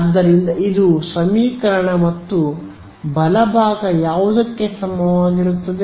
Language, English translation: Kannada, So, this is the equation and what is the right hand side going to be equal to